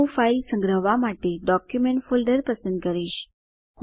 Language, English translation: Gujarati, I will select Document folder for saving the file